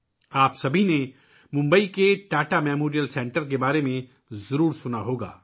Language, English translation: Urdu, All of you must have heard about the Tata Memorial center in Mumbai